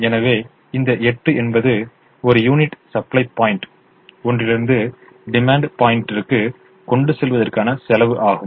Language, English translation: Tamil, so this eight is the cost of transporting a unit from supply point one to demand point one